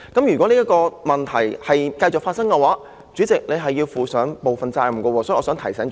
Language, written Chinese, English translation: Cantonese, 如果這個問題繼續發生，主席你要負上部分責任，所以我想提醒主席。, If this problem continues to occur you should be held partially responsible . This is why I wish to remind President